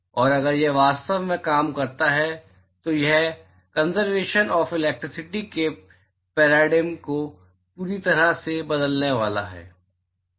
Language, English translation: Hindi, And if it really works it is going to completely change the paradigm of conservation of electricity and